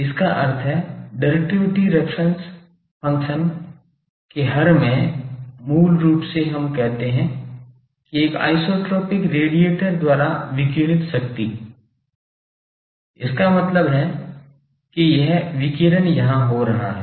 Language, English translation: Hindi, That means, in the denominator of directivity function basically we say that power radiated by an isotropic radiator; that means, this radiation is taking place here